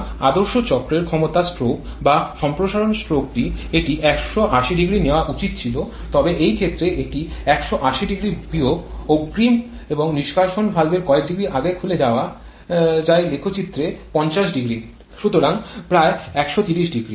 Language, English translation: Bengali, So, the power stroke or expansion stroke in ideal cycle it should have occupied 1800 but, in this case, it is occupying 1800 minus the earlier and there is more degree of early opening of the exhaust valve which is 500 in this diagram, so, only about 1300